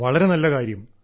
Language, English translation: Malayalam, That is nice